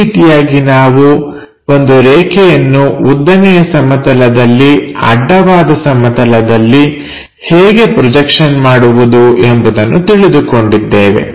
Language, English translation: Kannada, This is the way we construct for a line how to do these projections on the vertical plane, horizontal plane